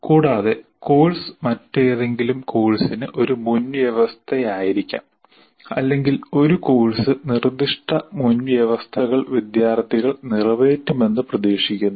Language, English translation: Malayalam, And further, a course may be a prerequisite to some other course or a course expects certain prerequisites to be fulfilled by the students